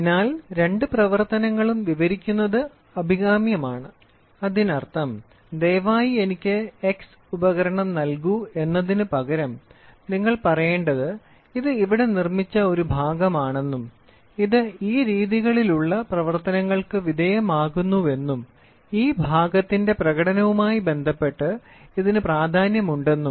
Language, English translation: Malayalam, So, it is desirable to describe both the operation; that means, to say rather than saying please give me that x instrument, you say that is say so, here is a part in which is manufactured and this undergoes these these these operations and this is what is the criticality of this part in terms of performance